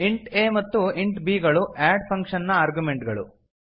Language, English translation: Kannada, int a and int b are the arguments of the function add